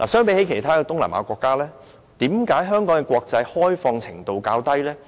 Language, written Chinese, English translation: Cantonese, 與其他東南亞國家相比，為何香港的國際開放程度較低呢？, Compared with the other East Asian countries why is Hong Kongs international openness lower?